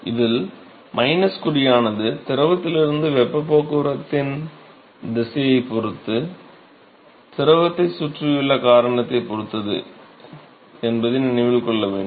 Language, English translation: Tamil, So, note that the minus sign will depend upon the direction of the heat transport from the fluid to the surrounding cause surrounding to the fluid